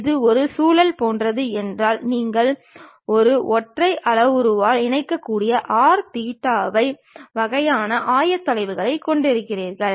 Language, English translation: Tamil, If it is something like a spiral you have r theta phi kind of coordinates which can be connected by one single parameter